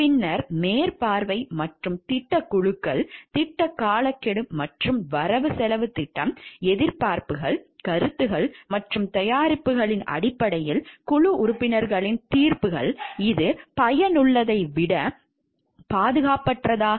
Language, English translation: Tamil, Then supervision and project teams, project timelines and budgets, expectations, opinions and judgments of the team members in terms of products, whether it is unsafe for less than useful